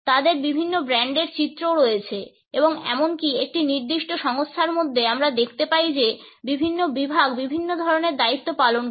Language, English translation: Bengali, They also have different brand images and even within a particular organization we find that different segments perform different type of duties